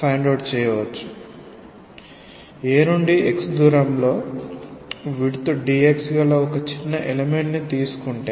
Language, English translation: Telugu, Take a small element at a distance x from A of width dx